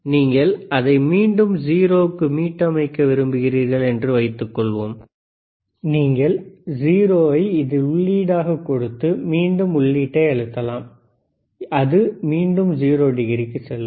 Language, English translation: Tamil, Suppose you want to reset it back to 0, then you can just write 0, 0, and you can again press enter, and it goes to 0 degree